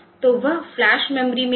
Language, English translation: Hindi, So, that will be there in the flash memory